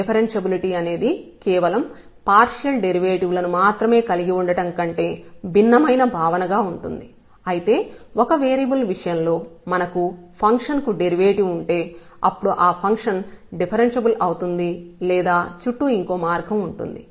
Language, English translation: Telugu, The differentiability will be a different concept than having just the partial derivatives, though in case of one variable if we have the derivative of the function, then the function is differentiable or the other way around